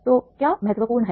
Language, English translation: Hindi, And this is very important